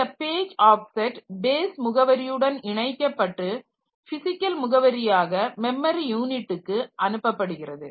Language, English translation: Tamil, So, this page offset is combined with the base address to define the physical address that is sent to the memory unit